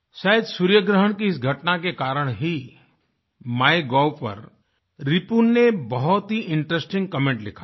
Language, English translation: Hindi, Possibly, this solar eclipse prompted Ripun to write a very interesting comment on the MyGov portal